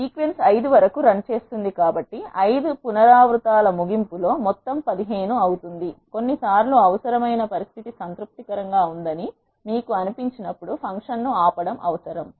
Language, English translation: Telugu, Since the sequence runs up to 5 the sum will be 15 at the end of 5 iterations, sometimes it is necessary to stop the function when you feel that the required condition is satisfied